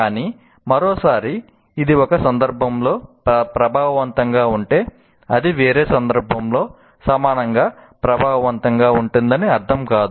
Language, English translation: Telugu, But once again, if it is effective in a particular instance doesn't mean that it will be equally effective in some other context